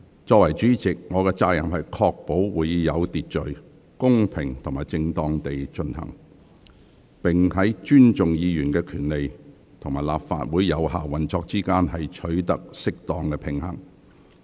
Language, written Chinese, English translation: Cantonese, 作為主席，我有責任確保會議有秩序、公平及正當地進行，並在尊重議員權利與立法會有效運作之間，取得適當平衡。, As the President I have the responsibility to ensure that the meeting is conducted in an orderly fair and proper manner and strike a right balance between respecting Members right and ensuring the effective operation of the Legislative Council